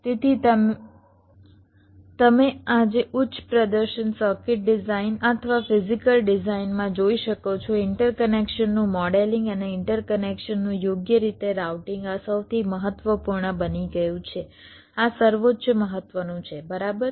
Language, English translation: Gujarati, so as you can see today in the high performance circuit design or the physical design, modelling of interconnection and property routing the interconnections